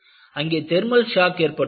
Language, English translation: Tamil, So, that is a thermal shock